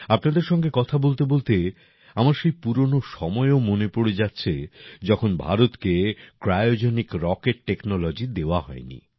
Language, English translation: Bengali, While talking to you, I also remember those old days, when India was denied the Cryogenic Rocket Technology